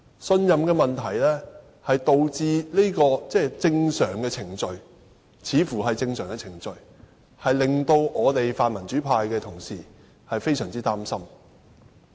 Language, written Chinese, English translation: Cantonese, 信任問題導致這項看似正常的程序令泛民主派議員非常擔心。, Owing to the lack of confidence the pan - democratic Members are gravely concerned about this seemingly normal procedure